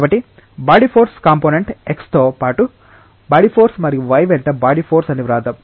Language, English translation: Telugu, So, let us write the body force component say body force along x and body force along y